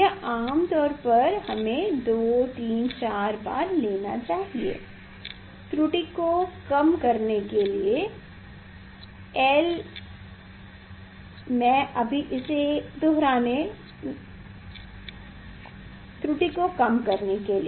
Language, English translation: Hindi, this reading generally, we should take 2 3 4 times to minimize the error